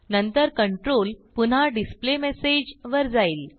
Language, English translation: Marathi, Then the control goes back to the displayMessage